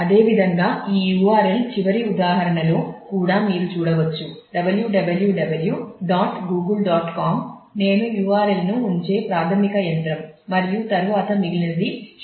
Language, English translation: Telugu, Similarly, this such URL can also in the last example you can see that www [dot] Google [dot] com is the basic machine where I am putting the URL and then the rest of it is search